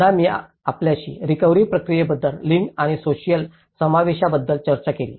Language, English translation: Marathi, Again, I discussed with you the gender and social inclusion in the recovery process